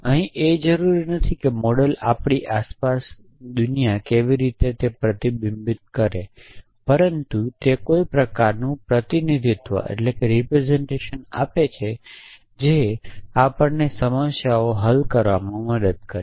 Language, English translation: Gujarati, Not necessarily a model which reflects how the world is around us but some form of representation which helps us solve problems